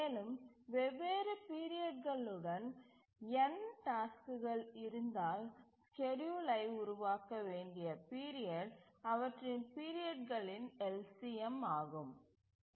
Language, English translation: Tamil, And we had said that if there are n tasks with different periods, then the period for which the schedule needs to be developed is given by the LCM of their periods